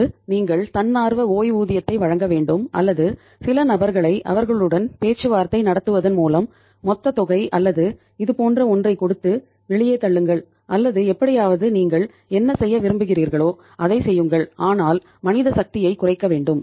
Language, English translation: Tamil, Either you offer then the voluntary retirements or you say throw some people out by say negotiating with them giving some lump sum amount or something like that but anyhow do whatever you want to do but reduce the manpower